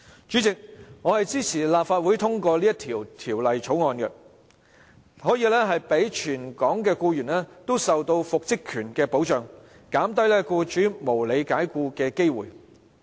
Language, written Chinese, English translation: Cantonese, 主席，我支持立法會通過這項《條例草案》，讓全港僱員都可以受到復職權的保障，減低僱主無理解僱的機會。, President I support the passage of the Bill by the Council so that all employees in Hong Kong can be protected under the right to reinstatement whereby the chance of unreasonable dismissal by employers is reduced